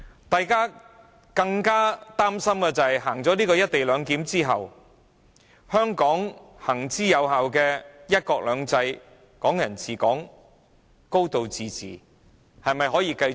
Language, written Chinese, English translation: Cantonese, 大家更擔心實行"一地兩檢"後，香港行之有效的"一國兩制"、"港人治港"、"高度自治"無法繼續。, We are even more concerned that the implementation of the co - location arrangement will put an end to one country two systems Hong Kong people ruling Hong Kong and a high degree of autonomy that have been effective in Hong Kong